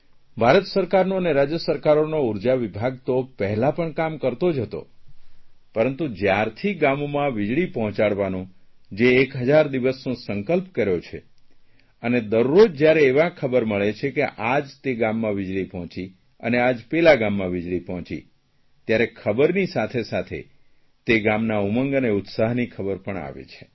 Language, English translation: Gujarati, The power department of the state and Indian government were functional earlier as well but from the day 1000 day target to provide electricity to every village has been set, we get news everyday that power supply is available in some or the other village and the happiness of the inhabitants' knows no bounds